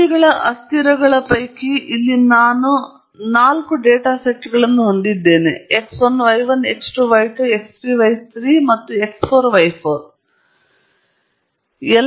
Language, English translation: Kannada, I have four data sets here, of pairs of variables; think of x 1 y 1, x 2 y 2, x 3 y 3 and x 4 y 4